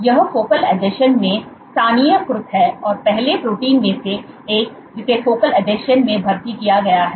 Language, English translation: Hindi, So, again it is localized at focal adhesions one of the earlier proteins to be recruited to focal adhesion